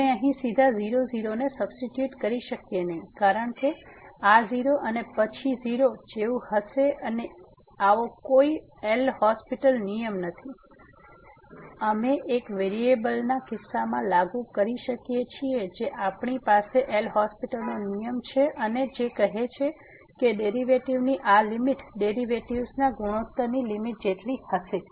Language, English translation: Gujarati, We cannot just directly substitute here because this will be like a 0 and then 0 here and there is no such an L'Hospital rule which we can apply in case of one variable we had the L'Hospital rule and which says that the derivative this limit will be equal to the limit of the ratio of the derivatives